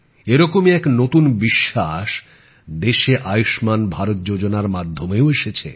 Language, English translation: Bengali, A similar confidence has come to the country through the 'Ayushman Yojana'